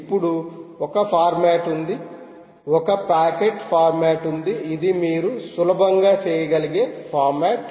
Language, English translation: Telugu, then there is a format, there is a packet format, format you can easily look up